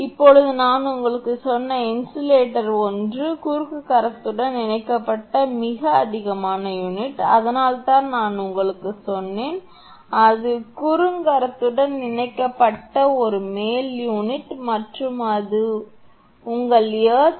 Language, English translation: Tamil, Now, insulator one just I told you is that top most unit connected to the cross arm that is why I told you it is a top most unit connected to the cross arm and your that is earth